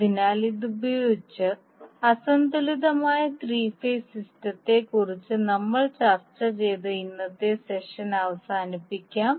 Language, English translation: Malayalam, So with this we can close our today's session in which we discussed about the unbalanced three phase system